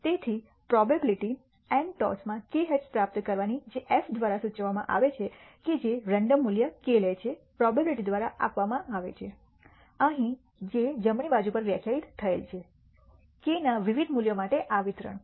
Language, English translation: Gujarati, So, the probability nally, of receiving k heads in n tosses which is denoted by f the random variable taking the value k is given by the probability, which is defined on the right hand side here, this distribution for various values of k